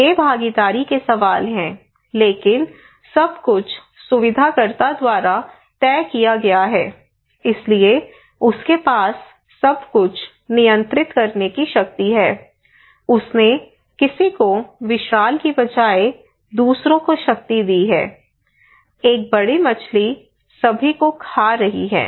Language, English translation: Hindi, So with these though is the kind of participation questions but everything is decided by the facilitator, so he has the power to control everything, so he put someone on behalf the power to others instead of being a gigantic one by small, small effort, a big fish is eating everyone